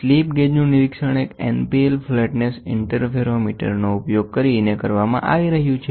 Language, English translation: Gujarati, A slip gauge is being inspected by using NPL flatness interferometer